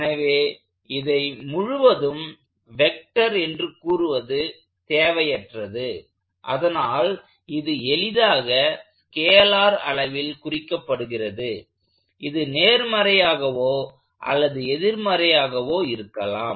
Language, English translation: Tamil, So, there is no real need to keep track of that quantity as a full vector, it has been reduced to simply a scalar that can either be positive or negative